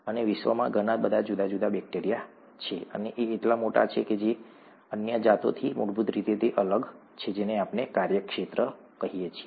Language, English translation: Gujarati, And there are so many different bacteria in the world, in life and so large that and so fundamentally different from other varieties that we call that a domain